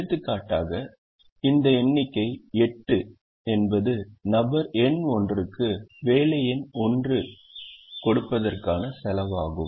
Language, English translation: Tamil, for example, this figure eight would be the cost of giving job one to person number one